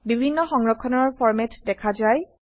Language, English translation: Assamese, Various save formats are seen